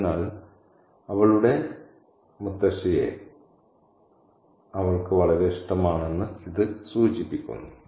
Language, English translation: Malayalam, So, this is just that she is very fond of her older grandmother